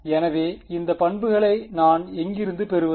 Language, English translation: Tamil, So, where do I get these properties from